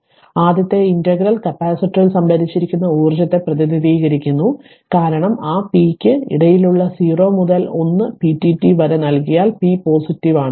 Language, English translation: Malayalam, So, thus the first integral represents energy stored in the capacitor because, if you look into that it is given 0 to 1 p dt that is in between that p is positive right